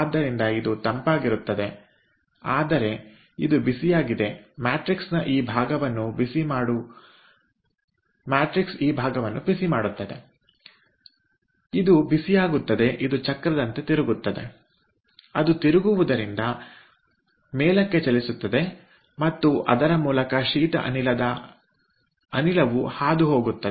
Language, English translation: Kannada, but this hot ah, the heated up, the portion which is heated up, the portion of the matrix which is heated up as it is rotating, as the wheel is rotating, it moves up and through that cold gas is passing